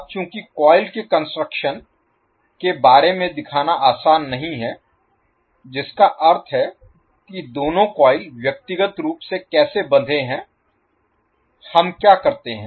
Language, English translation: Hindi, Now since it is not easy to show the construction detail of the coil that means how both of the coil are physically bound, what we do